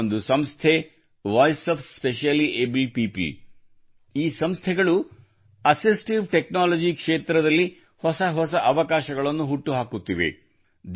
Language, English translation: Kannada, There is one such organization Voice of Specially Abled People, this organization is promoting new opportunities in the field of assistive technology